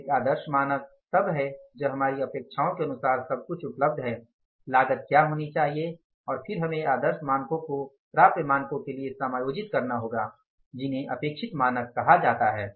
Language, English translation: Hindi, So, one standard is the ideal standard that if the everything is available as per our expectations what should be the cost and then you have to adjust the ideal standards to the attainable standards which are called as expected standards